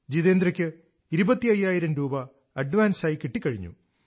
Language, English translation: Malayalam, Jitendra Bhoi even received an advance of Rupees twenty five thousand